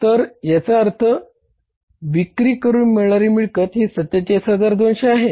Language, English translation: Marathi, So it means collection from the sales is dollar 47,200s